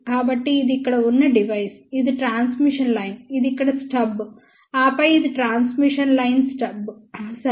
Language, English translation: Telugu, So, this is the device over here, this is that transmission line, this is that stub over here, then the transmission line stub, ok